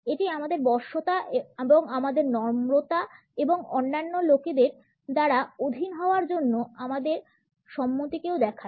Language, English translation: Bengali, It also shows our submissiveness and our meekness and our willingness to be dominated by other people